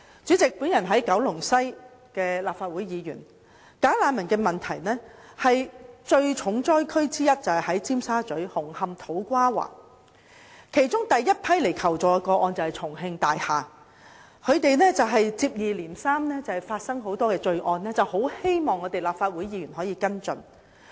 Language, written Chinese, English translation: Cantonese, 主席，我是九龍西的立法會議員，"假難民"問題的重災區，就是在尖沙咀、紅磡、土瓜灣；而第一批求助的個案，就是來自重慶大廈，該處接二連三發生很多罪案，有關居民希望立法會議員可以跟進。, President I am a Legislative Council Member representing Kowloon West and the hardest - hit areas of the bogus refugees problem are Tsim Sha Tsui Hung Hom and To Kwa Wan . The first batch of requests for assistance came from Chungking Mansions where a number of crimes occurred one after another and the residents concerned hope that Legislative Council Members can follow up this problem